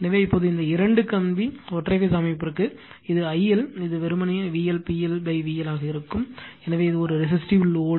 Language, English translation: Tamil, So, now for the two wire single phase system that is figure this from this figure, it will be I L is equal to simply V L right P L upon V L, so it is a resistive load